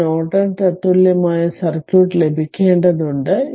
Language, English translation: Malayalam, So, we have here we have to obtain the Norton equivalent circuit